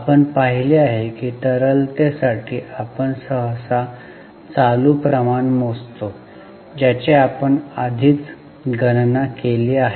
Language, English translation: Marathi, We have seen that for liquidity we normally calculate current ratio which we have already calculated